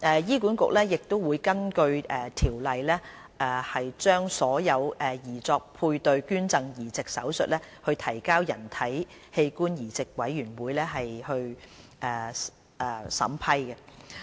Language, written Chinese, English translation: Cantonese, 醫管局亦會根據《條例》將所有擬作配對捐贈移植手術提交人體器官移植委員會審批。, HA will also seek approval from HOTB on intended paired donation transplant operation in accordance with the Ordinance